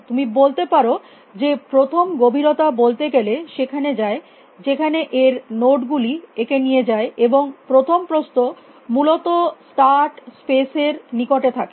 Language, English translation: Bengali, You can say depth first just goes where it is nodes takes how to speak, and breadth first stays to close to start space essentially